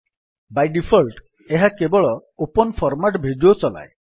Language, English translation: Odia, By default, it plays the open format video files only